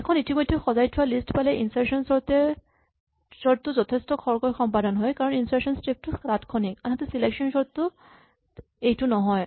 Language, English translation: Assamese, Insertion sort when you already have a sorted list will be quite fast because the insert step is instantaneous whereas this does not happen with selection sort